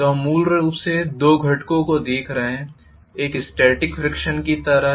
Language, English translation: Hindi, So we are essentially looking at two components, one is like a static friction